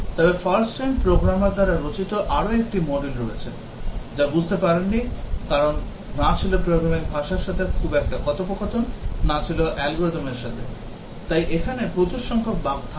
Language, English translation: Bengali, But there is another module written by a first time programmer, did not understand because was not very conversant to the language and neither with the algorithm and so on, so there will be large number of bugs